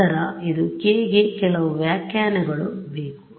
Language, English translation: Kannada, Then this k needs some interpretation ok